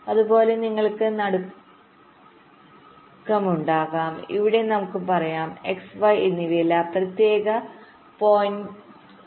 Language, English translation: Malayalam, lets say, here i am looking at a particular point, not both x and y, but particular point x